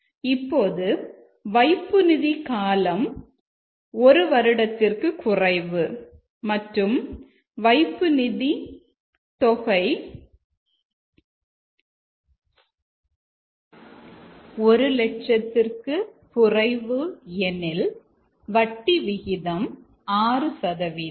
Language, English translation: Tamil, Now if the deposit is less than one year and the amount deposited is less than 1 lakh then the rate of interest is 6%